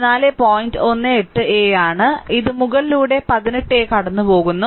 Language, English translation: Malayalam, 18 a, this pass upper one this 18 a